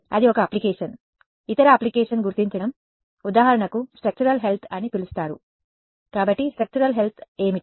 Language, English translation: Telugu, That is one application; other application could be detecting for example, what is called structural health; so, structural health of what